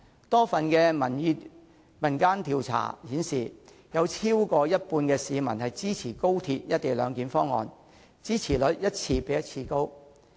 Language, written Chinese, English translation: Cantonese, 多份民間調查顯示，有超過一半的市民支持高鐵"一地兩檢"方案，支持率一次比一次高。, Many opinion polls indicate that more than half of the people support the option of the co - location arrangement and the support rate is on the increase